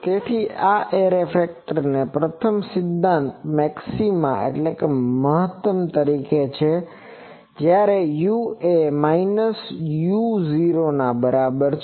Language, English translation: Gujarati, So, these array factor as its first principle maxima, when u is equal to minus u 0